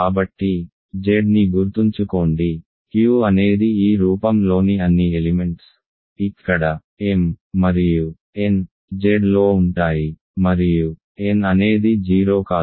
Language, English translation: Telugu, So, Z remember Q is all elements of this form where m and n are in Z and n is not 0